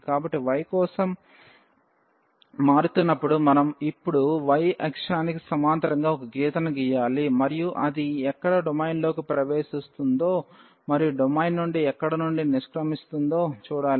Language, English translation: Telugu, So, changing for y we have to now draw a line parallel to the y axis and see where it enters the domain and where it exit the domain